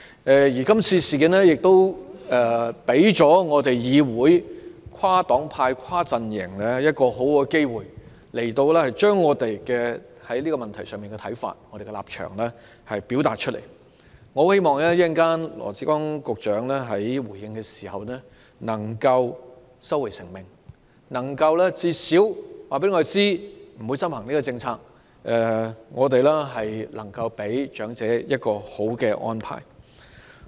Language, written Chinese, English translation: Cantonese, 這次事件亦給予議會內跨黨派、跨陣營一個很好的契機，讓我們表達對這個問題的看法和立場，我很希望羅致光局長稍後回應時能夠收回成命，至少能夠告訴我們，不會執行這項政策，給予長者一個理想的安排。, This incident also offers a good opportunity for the different parties and camps in the legislature to express our views and stances on this issue . I hope Secretary Dr LAW Chi - kwong in making his response later on will withdraw the decision . He should at least tell us that such a policy will not be implemented for the sake of giving elderly people a satisfactory arrangement